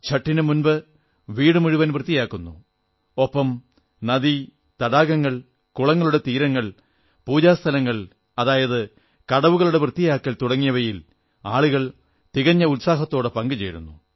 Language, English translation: Malayalam, Before the advent of Chatth, people come together to clean up their homes, and along with that cleansing of rivers, lakes, pond banks and pooja locations, that is ghats, with utmost enthusiasm & fervour